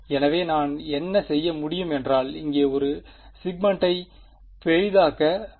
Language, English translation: Tamil, So, what I can do is let just take one zooming in the segment over here